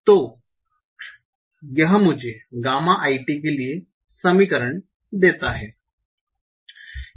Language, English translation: Hindi, So this gives me the equation for gamma a t